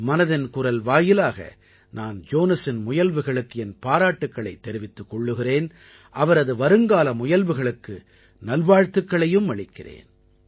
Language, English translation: Tamil, Through the medium of Mann Ki Baat, I congratulate Jonas on his efforts & wish him well for his future endeavors